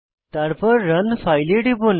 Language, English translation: Bengali, Then, Click on Run File